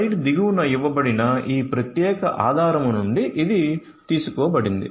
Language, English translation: Telugu, This has been taken from this particular source that is given at the bottom of the slide